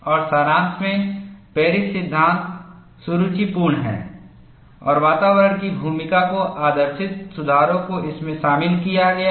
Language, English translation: Hindi, And in summary, Paris law is elegant and corrections are incorporated to this, to model the role of environment